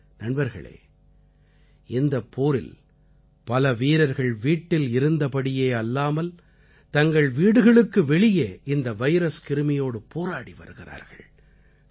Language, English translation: Tamil, Friends, in this war, there are many soldiers who are fighting the Corona virus, not in the confines of their homes but outside their homes